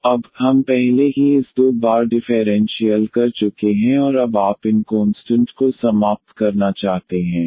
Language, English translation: Hindi, So, now, we have already differentiated this two times and now you want to eliminate these constants